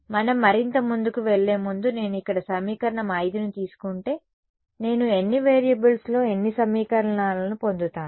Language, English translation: Telugu, Before we further if I take equation 5 over here how many equations in how many variables will I get